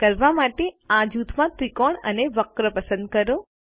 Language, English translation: Gujarati, To do this, select the grouped triangle and curve